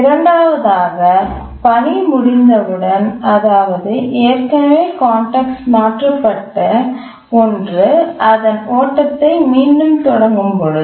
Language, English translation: Tamil, And the second on completion of the task, the one that was already context switched resumes its run